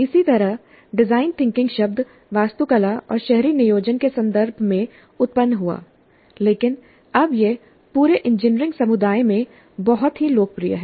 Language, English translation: Hindi, Similarly, the term design thinking arose in the context of architecture and urban planning but now it's very popularly used in the entire engineering community